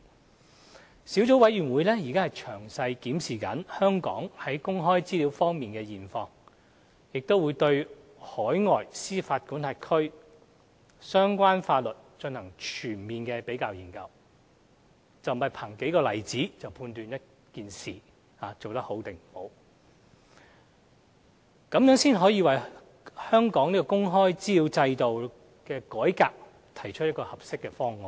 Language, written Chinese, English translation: Cantonese, 該小組委員會正詳細檢視香港在公開資料方面的現況，並對海外司法管轄區的相關法律進行全面的比較研究，不是憑數個例子便可判斷一件事是否做得好，這才能為香港的公開資料制度改革提出一個合適的方案。, The Subcommittee is now conducting detailed reviews of the local situation on access to information and undertaking comprehensive comparative studies of the relevant laws in overseas jurisdictions . The effectiveness of such initiatives should not be judged solely with a few examples and such efforts will enable the Subcommittee to make appropriate recommendations on a possible option for reforming the local system on access to information